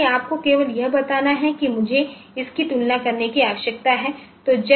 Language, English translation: Hindi, So, you just have to tell that I need to compare this